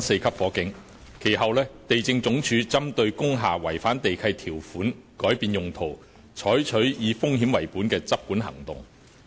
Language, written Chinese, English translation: Cantonese, 其後，地政總署針對工廈違反地契條款改變用途，採取以風險為本的執管行動。, Subsequently the Lands Department LandsD takes risk - based enforcement actions against lease breaches involving the change of uses in industrial buildings